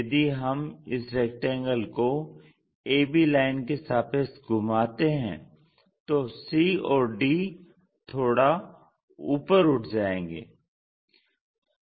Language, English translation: Hindi, If we are rotating about A B line, lifting up this C and D bit up